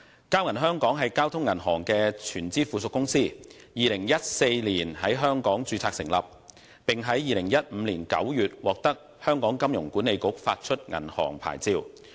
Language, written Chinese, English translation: Cantonese, 交銀香港是交通銀行的全資附屬公司，於2014年在香港註冊成立，並於2015年9月獲得香港金融管理局發出銀行牌照。, Bank of Communications Hong Kong is a wholly - owned subsidiary of Bank of Communications . It was incorporated in Hong Kong in 2014 and was granted a bank licence by the Hong Kong Monetary Authority in September 2015